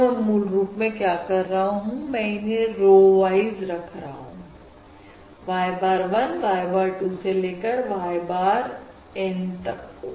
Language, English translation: Hindi, What I am doing is basically I am stacking them, um, basically row wise, right, y bar of 1, y bar of 2, so on, y bar N